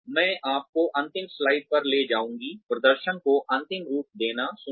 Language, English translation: Hindi, What I will now take you to is the last slide here, appraising performance